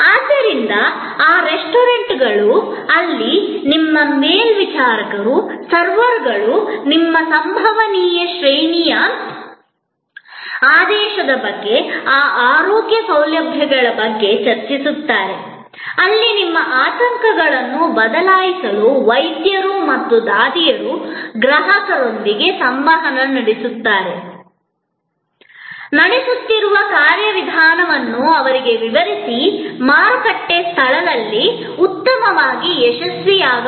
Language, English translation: Kannada, So, those restaurants, where the stewards, the servers discuss with you about your possible range of ordering, those health care facilities, where the doctors and nurses interact with the customer as switch their anxieties, explain to them the procedure that are being conducted, can; obviously, succeed better in the market place